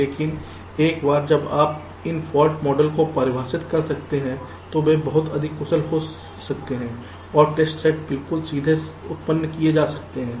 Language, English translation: Hindi, but once you can define these fault models, they can be very efficient and the test set can be generated absolutely directly